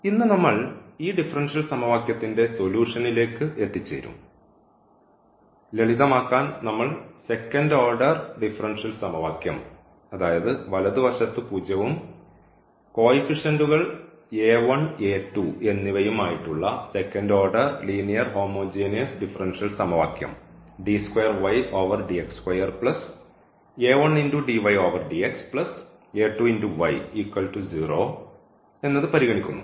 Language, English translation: Malayalam, So, today we will now get to the solution of this differential equation and for example now for simplicity we are considering the second order differential equation, second order linear homogeneous differential equation with these two coefficients a 1 and a 2 and the right hand side is 0